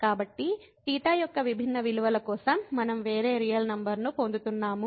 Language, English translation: Telugu, So, here for different values of theta we are getting the different real number